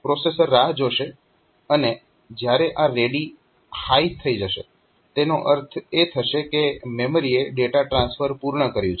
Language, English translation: Gujarati, So, that it will be the processor will be waiting and when this ready becomes high; that means, the memory has completed the data transfer